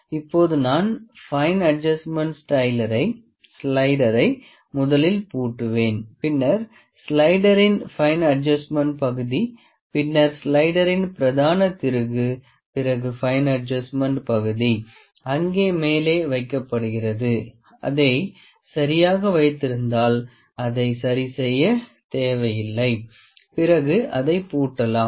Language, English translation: Tamil, Now I will see I will lock the fine adjustment slider first then actually the fine adjustment part of the slider then the main screw of the slider after the fine adjustment actually it is just kept over there we need not to adjust it, ok, it is kept properly then we lock this one